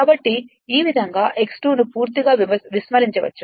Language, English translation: Telugu, So, that x 2 dash can be altogether neglected